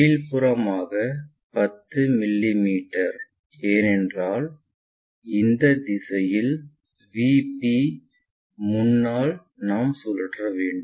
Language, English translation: Tamil, So, below that will be 10 mm, because that is the direction in front of VP which we are going to rotate it